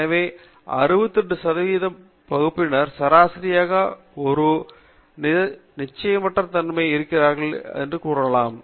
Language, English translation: Tamil, So you can say that 68 percent of the area is within one standard deviation from the mean